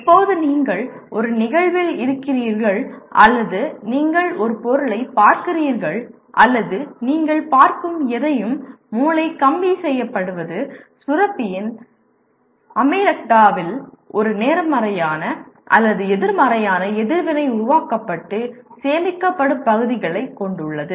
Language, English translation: Tamil, Anytime you are in an event or you look at an object or you anybody’s behavior, anything that you look at, the brain is wired in such a way the gland amygdala has regions where a positive or negative reaction is created and stored even